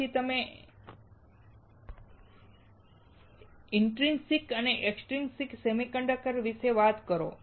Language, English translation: Gujarati, Then you talk about intrinsic and extrinsic semiconductors